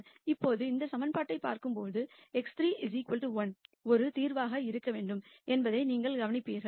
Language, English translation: Tamil, Now clearly when you look at this equation you will notice that x 3 equal to 1 has to be a solution